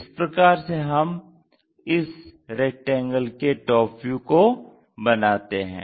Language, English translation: Hindi, This is the way we construct top view of that rectangle